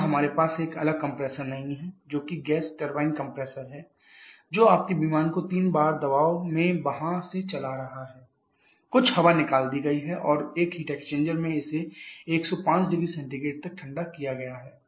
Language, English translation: Hindi, Here we are not having a separate compressor that is the gas turbine compressor which is running your aircraft from there at 3 bar pressure some air has been taken out and in a heat extend it has been cool to 105 degree Celsius